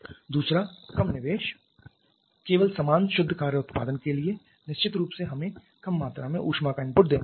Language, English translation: Hindi, Secondly, a lower investment just to have the same net work output definitely we have to give lesser amount of heat input